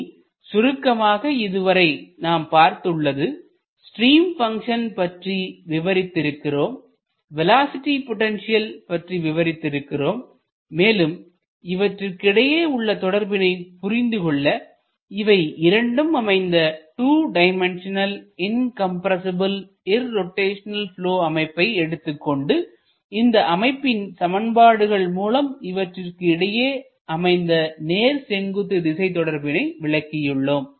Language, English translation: Tamil, So, in summary what we can see, that we have defined what is the stream function, we have defined what is the velocity potential, we have seen that there is a relationship between these two when we have both defined that is 2 dimensional incompressible irrotational flow and both in terms of their governing equations and also in terms of their orthogonality